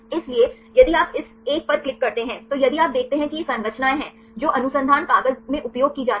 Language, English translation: Hindi, So, if you click on this one right then if you see these are the structures which are used in the paper